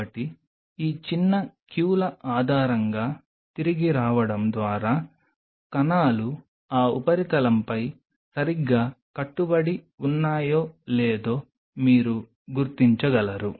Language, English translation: Telugu, So, coming back based on these small queues you can you will be able to figure out whether the cells are properly adhering on that substrate or not